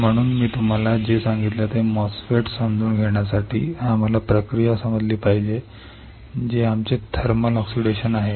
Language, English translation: Marathi, So, for understanding MOSFET what I told you, we had to understand the process, which is our thermal oxidation